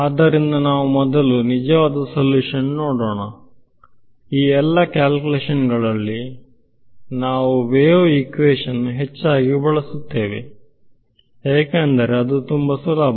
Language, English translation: Kannada, So, let us first look at the true solution, will notice in all of these calculations we use the wave equation a lot right because it is very easy to handle